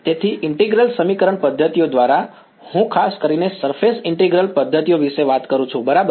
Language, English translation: Gujarati, So, by integral equation methods, I am particularly talking about surface integral methods ok